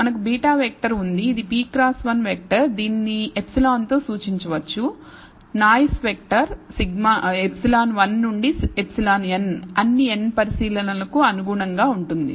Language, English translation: Telugu, So, we have beta vector which is a p cross 1 vector we can also de ne epsilon, the noise vector, as epsilon 1 to epsilon n corresponding to all the n observations